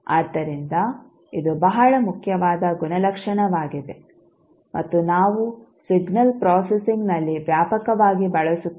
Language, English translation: Kannada, So, this is very important property and we use extensively in the signal processing